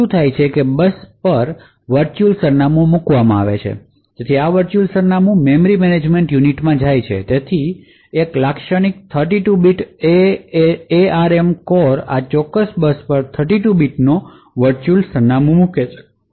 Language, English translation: Gujarati, What is done is that there is a virtual address put out on the bus so this virtual address goes into the memory management unit so a typical 32 bit ARM core would put out a 32 bit virtual address on this particular bus